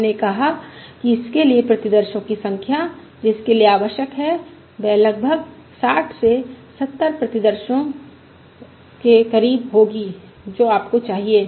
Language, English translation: Hindi, We said the number of samples that is required for that is approximately of the order of 60 to 70 samples that you require